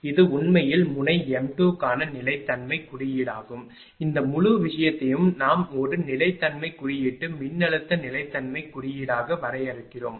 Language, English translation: Tamil, So, this is actually stability index for node m 2 this whole thing we are defining as a stability index voltage stability index right